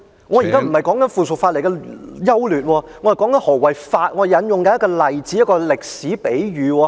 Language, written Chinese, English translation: Cantonese, 我現在不是說附屬法例的優劣，我是在說何謂法，我正在引用一個例子，一個歷史比喻......, I am not speaking on the pros and cons of the subsidiary legislation . I am elaborating the meaning of law and I am just citing an example a historical allegory